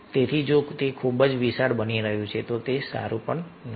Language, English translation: Gujarati, so if it is becoming very, very large, then also it is not good